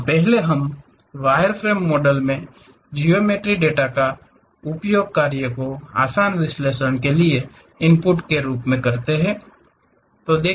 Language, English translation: Hindi, The first wireframe model are used as input geometry data for easy analysis of the work